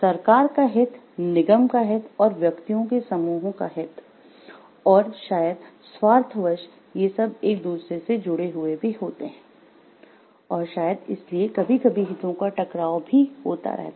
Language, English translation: Hindi, Interest of the government and the interest of the corporation, the interest of the corporation and the groups of individuals and may be one’s own self interest, all these are like intertwined with each other maybe sometimes there will be conflicts of interest also